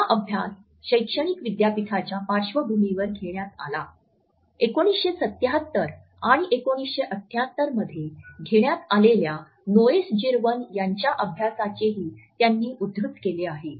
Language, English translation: Marathi, This study was conducted in academic university background; he has also quoted a study by Noesjirwan which was conducted in 1977 and 1978